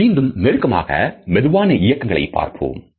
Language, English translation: Tamil, Let us have a look in even slower slow motion from closer